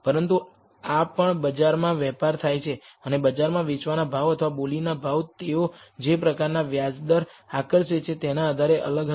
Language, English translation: Gujarati, But these are also traded in the market, and the selling price in the market or bid price would be different depending on the kind of interest rate they attract